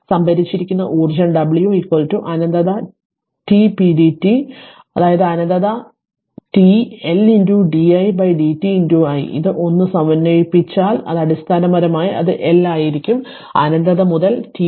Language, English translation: Malayalam, The energy stored is that w is equal to minus infinity to t p dt, that is minus infinity to t L into di by dt into i right and if you integrate this 1 then it will be it basically it will be L minus infinity to t i vi